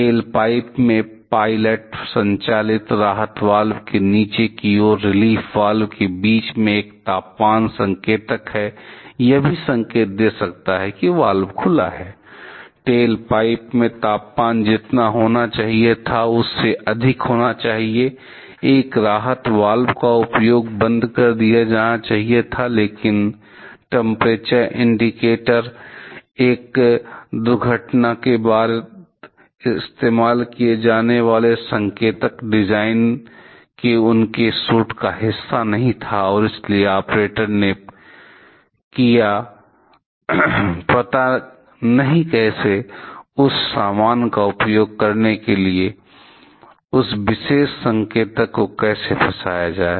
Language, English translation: Hindi, There is a temperature indicator downstream of the pilot operated relief valve in the tail pipe, between the relief valve when pressurizing, that could have also given the indication that the valve is open, that the temperature in the tail pipe should remained higher than it should have been use a relief valve was shut down, but the temperature indicator was not a part of their suit of indicators design to be used after an accident, and therefore, the operator did not know how to use that similar, what how to implicate the that particular symbol